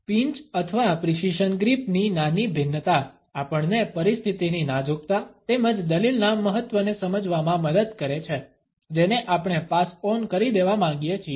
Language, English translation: Gujarati, Minor variations of the pinch or the precision grip, help us to underscore the delicacy of the situation as well as the significance of the argument, which we want to pass on